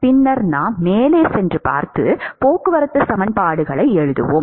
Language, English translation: Tamil, Then we will go ahead and look at, write transport equations